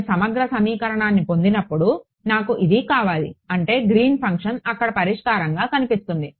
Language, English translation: Telugu, The moment I got it integral equation I need it I mean Green’s function will appear there as a as a solution ok